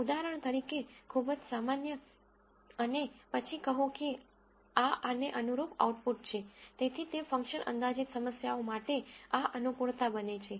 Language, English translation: Gujarati, For example, very trivial, and then say that is the output corresponding to this, so that becomes of adaptation of this for function approximation problems and so on